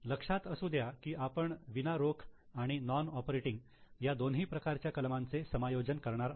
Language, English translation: Marathi, Remember, we are going to adjust for non cash and non operating both types of items